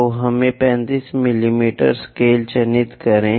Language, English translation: Hindi, So, let us mark 35 mm scale